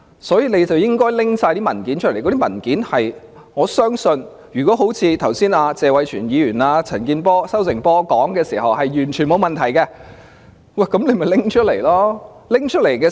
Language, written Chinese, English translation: Cantonese, 所以，他們應該交出所有文件，我相信如果像謝偉銓議員和"收成波"陳健波議員剛才所說，事情是完全沒有問題，那麼便請拿出文件來。, Therefore they should provide us with all relevant documents . If there is nothing dishonest as said by Mr Tony TSE and Harvest Por just now please let us have the documents